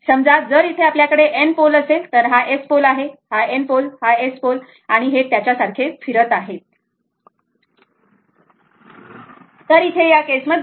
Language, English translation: Marathi, Suppose, if you have here it is N pole here, it is S pole, N pole, S pole and it is revolving like this, it is revolving like this